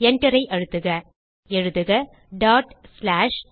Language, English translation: Tamil, Press Enter Type ./str1